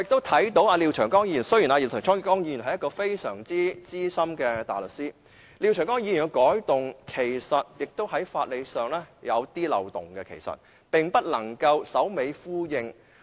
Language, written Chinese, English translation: Cantonese, 雖然廖長江議員是一位非常資深的大律師，他提出的修訂建議其實在法理上有點漏洞，並不能首尾呼應。, Though a very senior barrister Mr Martin LIAO introduced proposed amendments that are somewhat legally flawed and lack coherence throughout